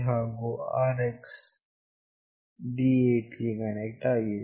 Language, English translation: Kannada, And the RX is connected to D8